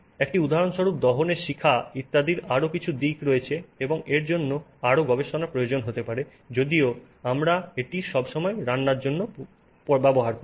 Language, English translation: Bengali, There are still aspects of the flame and so on which may require more research but we use it for cooking all the time